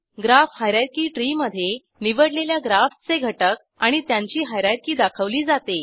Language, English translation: Marathi, Graph hierarchy tree displays the current graph components and their hierarchy